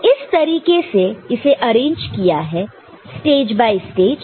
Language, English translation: Hindi, So, this is the way it has been arranged, stage by stage